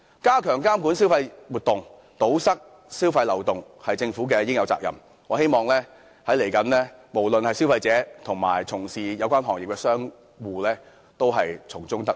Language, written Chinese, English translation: Cantonese, 加強監管消費活動、堵塞消費漏洞是政府應有的責任，我希望無論是消費者及從事有關行業的商戶將來都能夠從中得益。, It is the Governments duty to enhance regulation on consumer activities and plug any loopholes . I hope both consumers and merchants can benefit from this in the future